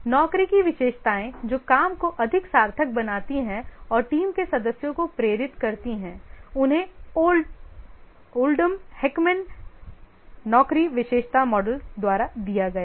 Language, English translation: Hindi, The job characteristics which make the job more meaningful and motivate the team members is given by the Oldham Hackman job characteristic model